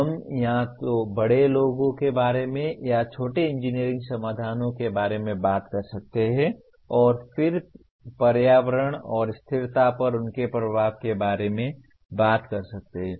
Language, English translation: Hindi, One can talk about either bigger ones or smaller engineering solutions we can talk about and then and then talk about their impact on environment and sustainability